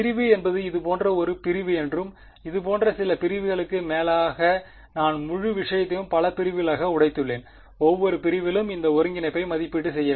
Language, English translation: Tamil, A segment means a segment like this and some over all such segments I have broken up the whole thing into several segments, I have to evaluate this integral over each segment